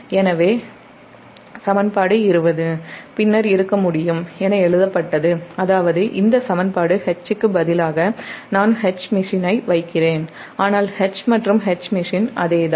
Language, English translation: Tamil, so equation twenty then can be written as that means this equation instead of instead of h, i am putting h machine, but h and h machine, it is same, just the multi machine system